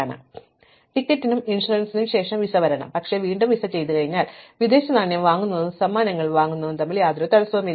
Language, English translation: Malayalam, So, visa must come after both ticket and insurance, but again having done the visa, then there is no constraint between buying the foreign exchange and buying gifts